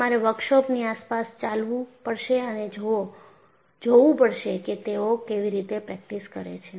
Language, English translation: Gujarati, You have to walk along the work shop andsee what kind of practice is that they are doing